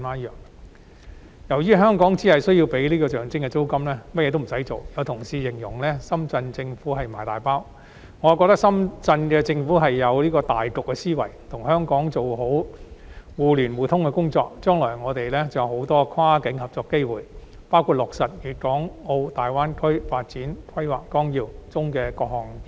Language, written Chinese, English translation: Cantonese, 由於香港只須支付象徵式租金，其他甚麼都不用做，有同事形容深圳市政府是"賣大包"，我則認為深圳市政府有大局思維，與香港做好互聯互通的工作，是為了將來我們很多跨境合作的機會，包括落實《粵港澳大灣區發展規劃綱要》中的各項建議。, Since all that Hong Kong needs to do is to pay a nominal rent and nothing else some Honourable colleagues have described the Shenzhen Municipal Government as offering us a huge giveaway but I would rather say that the Shenzhen Municipal Government has the big picture in mind . It has been making efforts to achieve connectivity with Hong Kong in view of the numerous opportunities for cross - boundary cooperation between us in the future including the implementation of various proposals in the Outline Development Plan for the Guangdong - Hong Kong - Macao Greater Bay Area